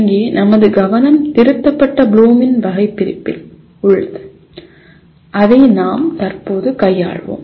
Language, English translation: Tamil, Our focus here is on Revised Bloom’s Taxonomy which we will presently deal with